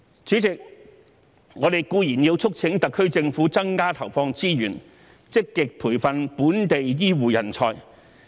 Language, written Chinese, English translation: Cantonese, 主席，我們固然要促請特區政府增加投放資源，積極培訓本地醫護人才。, President we certainly have to urge the HKSAR Government to allocate more resources to train local healthcare talents proactively